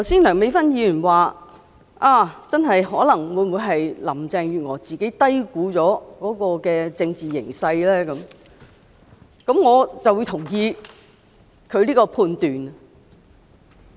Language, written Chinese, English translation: Cantonese, 梁美芬議員剛才提到，林鄭月娥會否低估了政治形勢，我認同她這個判斷。, Dr Priscilla LEUNG mentioned just now that Carrie LAM might have underestimated the political situation . I agree with this judgment of hers